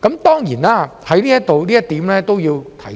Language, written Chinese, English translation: Cantonese, 當然，就這一點，我都要在此提出。, Certainly in this connection I have to raise a point here